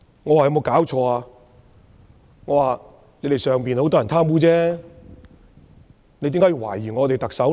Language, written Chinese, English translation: Cantonese, 你們中國很多人貪污，為何要懷疑我們的特首？, While many people are corrupt in China why do you suspect our Chief Executive?